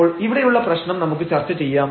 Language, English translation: Malayalam, So, let us discuss the problem here